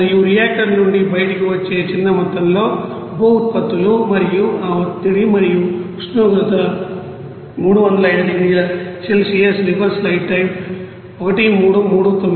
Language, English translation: Telugu, And a small amount of byproducts which will be coming out from the reactor and that pressure and temperature of 305 degree Celsius